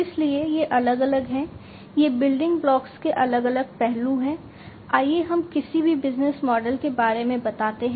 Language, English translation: Hindi, So, these are the different broadly, these are the different aspects the building blocks, let us say of any business model